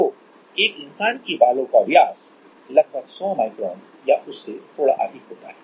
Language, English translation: Hindi, So, and one humans hair diameter is about 100 micron or little more